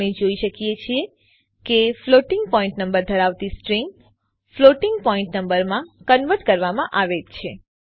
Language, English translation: Gujarati, We can see that the string containing a floating point number has been successfully converted to floating point number